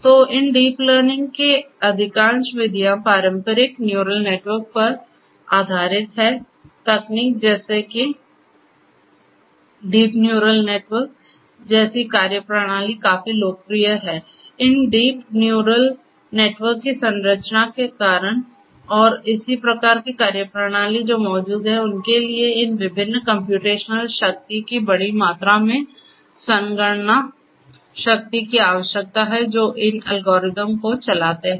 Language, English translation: Hindi, So, most of these deep learning methods are based on traditional neural networks; techniques, such as methodologies such as deep neural networks are quite popular and because of the structure of these deep neural networks and so on and the similar kinds of methodologies that are present what is required is to have large amounts of computation power of these different you know of the computational infrastructure which run these algorithms